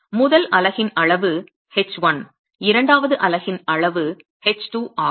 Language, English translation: Tamil, The size of the first unit is H1, the size of the second unit is H2